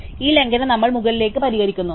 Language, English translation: Malayalam, So, we fix this violation upwards